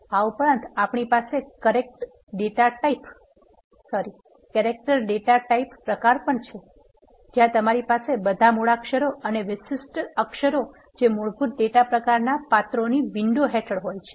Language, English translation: Gujarati, Also, we can have a character data type where you have all the alphabets and special characters which are under the window of basic data types of characters